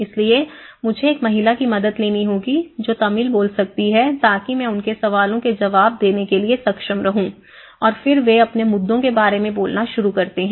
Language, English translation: Hindi, So, I have to hire one lady who can speak Tamil and I could able to respond so and then they start speaking about their issues